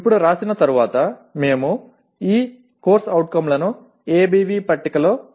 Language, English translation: Telugu, Now having written, we have to locate these COs in the ABV table